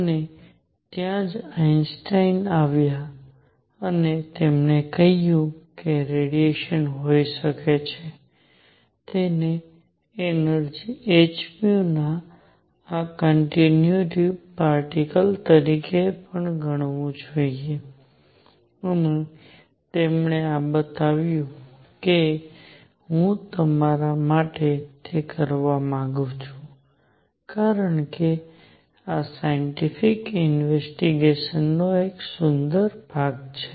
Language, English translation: Gujarati, And that is where Einstein came in and he said may be radiation should also be treated as this continuous containing particles of energy h nu and he went on to show this I want to do it for you, because this is a beautiful piece of scientific investigation